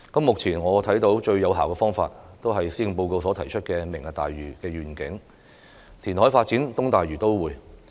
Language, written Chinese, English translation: Cantonese, 目前我看到最有效的方法，就是施政報告所提出的"明日大嶼願景"，填海發展東大嶼都會。, The most effective solution that I can see for the time being is the reclamation development of the East Lantau Metropolis under the Lantau Tomorrow Vision proposed in the Policy Address